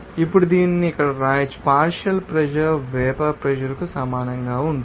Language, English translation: Telugu, Now, this can be written as here, partial pressure will be equal to vapor pressure